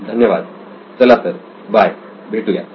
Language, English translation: Marathi, Thank you then, bye